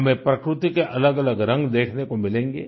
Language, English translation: Hindi, We will get to see myriad hues of nature